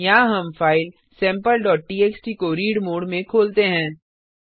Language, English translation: Hindi, Here, we open the file Sample.txt in read mode